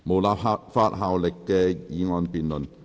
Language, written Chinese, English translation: Cantonese, 無立法效力的議案辯論。, Debate on motion with no legislative effect